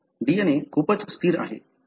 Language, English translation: Marathi, So, the DNA is pretty much static